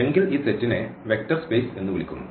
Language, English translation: Malayalam, So, this vector space is a set V of elements and called vectors